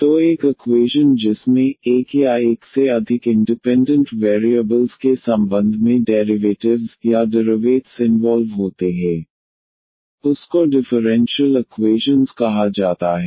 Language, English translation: Hindi, So an question which involves the derivates or the differentials of one or more independent variables with respect to one or more independent variables is called differential equation